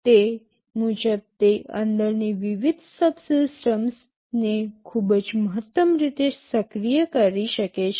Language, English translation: Gujarati, Accordingly it can activate the various subsystems inside in a very optimum way